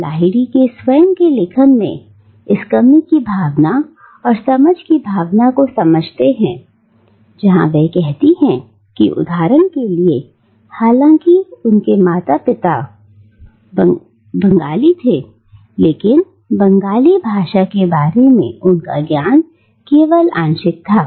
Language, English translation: Hindi, And we understand this sense of lack and sense of loss from Lahiri’s own writings and interviews about herself where she says that, for instance, though she was born to a Bengali parents her knowledge of Bengali is only partial